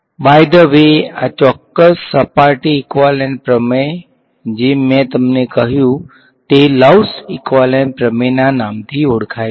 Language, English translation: Gujarati, By the way this particular surface equivalence principle that I told you goes by the name of Love’s equivalence theorem